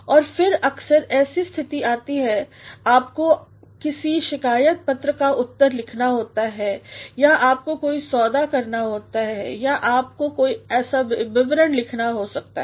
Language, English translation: Hindi, And then also sometimes when situations so arise as you have to respond to a complaint letter or you have to make a deal or you may have to write a report